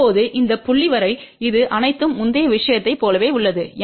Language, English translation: Tamil, Now, till this point this everything is same as in the previous case